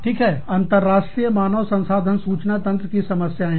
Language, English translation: Hindi, Problems with international human resource information systems